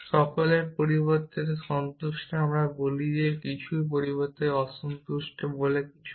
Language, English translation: Bengali, Satisfiable instead of all we say some and unsatisfiable instead of some are say none